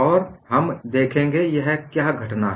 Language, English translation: Hindi, And we would see, what is this phenomenon